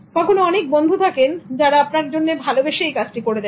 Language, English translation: Bengali, Sometimes there are friends who do it just for the love of helping you